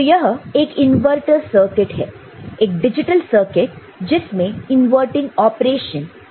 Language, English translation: Hindi, That is the inverter circuit a digital circuit; there is an inverting operation that is involved